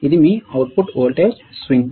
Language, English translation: Telugu, What is the input voltage range